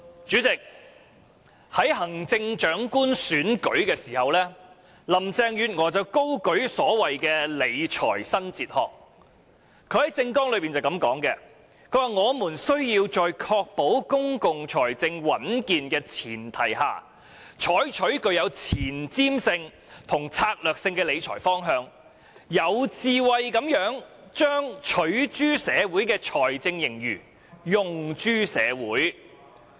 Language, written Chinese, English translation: Cantonese, 主席，在行政長官選舉期間，林鄭月娥高舉所謂的"理財新哲學"，在政綱中這樣提出："我們需要在確保公共財政穩健的前提下，採取具有前瞻性與策略性的理財方針，有智慧地把'取諸社會'的財政盈餘'用諸社會'。, President when running in the Chief Executive Election Carrie LAM waved what she called the New Fiscal Philosophy stating in her manifesto On the premise of ensuring the stability of our public finances my new fiscal philosophy aims to wisely use our accumulated surpluses for the community